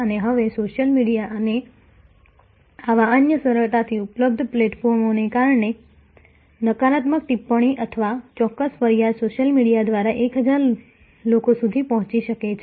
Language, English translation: Gujarati, And now, because of social media and other such easily available platforms, a negative comment or a specific complaint can reach 1000s of people through the social media